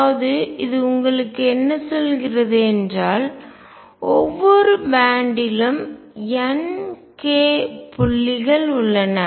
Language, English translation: Tamil, So, what this tells you, that there are n k points in each band right